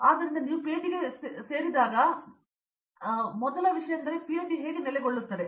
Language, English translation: Kannada, So, when you aim for PhD the first thing that comes up is why PhD, settle down